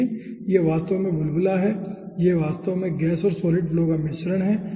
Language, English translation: Hindi, look, this is actually bubble, this is actually mixture of gas and solid flow